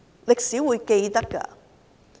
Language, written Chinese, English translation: Cantonese, 歷史是會記得的。, It will be remembered in history